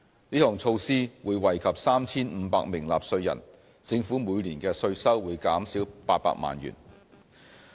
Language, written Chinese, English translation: Cantonese, 這項措施會惠及 3,500 名納稅人，政府每年的稅收會減少800萬元。, This measure will benefit 3 500 taxpayers and reduce tax revenue by 8 million a year